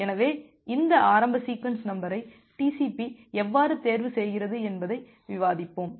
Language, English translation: Tamil, So, in a moment we will discuss that how TCP chooses this initial sequence number